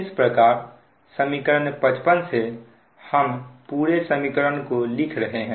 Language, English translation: Hindi, this is equation fifty five, this one